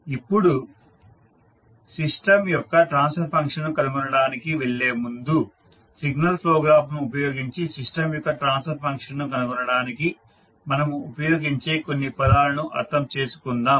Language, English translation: Telugu, Now, before going into finding out the transfer function of a system let us understand few terms which we will use for finding out the transfer function of the system using signal flow graph